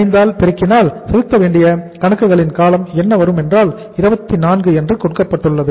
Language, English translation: Tamil, 50 multiplied by what was the duration of the accounts payable it was given to us was 24